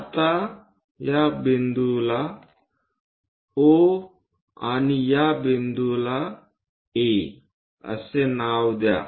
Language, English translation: Marathi, Now, name these points as O and this point as A